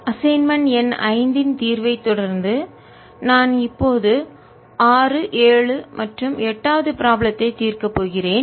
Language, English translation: Tamil, continuing with solution of assignment number five, i am now going to solve problem number six, seven and eighth